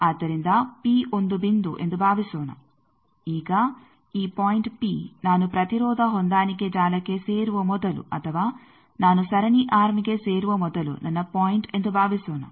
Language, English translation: Kannada, So, suppose P is a point, now this point P, suppose my point with that it is before I joined the impedance matching network or before I joined the series arm